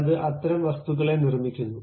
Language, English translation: Malayalam, It constructs such kind of object